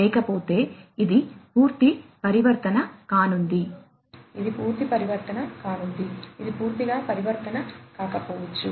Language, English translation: Telugu, Otherwise, it is going to be complete transformation, it is going to be complete transformation, which may not be desirable